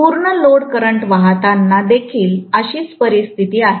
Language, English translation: Marathi, That is the case even when full load current is flowing